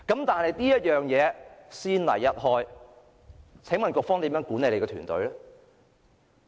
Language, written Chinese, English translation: Cantonese, 但是，先例一開，請問局方如何管理其團隊？, Once a precedent is set how can the authorities manage their teams?